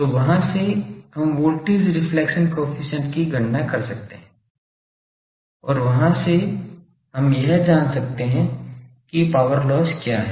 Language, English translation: Hindi, So, from there we can calculate voltage reflection coefficient and from there we can find what is the power loss